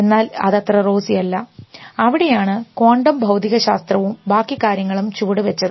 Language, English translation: Malayalam, It is appears very rosy, but it is not so rosy and that is where quantum physics and rest of the things have stepped in